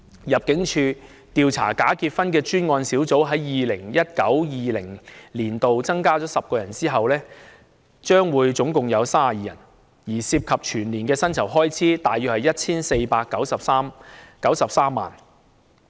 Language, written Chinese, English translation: Cantonese, 入境處調查假結婚的專案小組在 2019-2020 年度增加了10人後，總共有32人，所涉及的全年薪酬開支約為 1,493 萬元。, With the addition of 10 more members in 2019 - 2020 the ImmD special task force responsible for investigating bogus marriage cases consists of a total of 32 members and the expenditure involved on their annual remunerations amounts to around 14,930,000